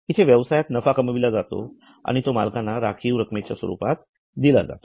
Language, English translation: Marathi, Here business is generating profits and giving it to owners in the form of reserves